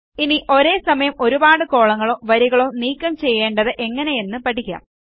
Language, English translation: Malayalam, Now lets learn how to delete multiple columns or rows at the same time